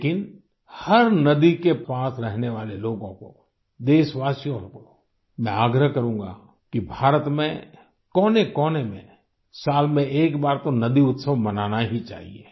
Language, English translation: Hindi, But to all people living near every river; to countrymen I will urge that in India in all corners at least once in a year a river festival must be celebrated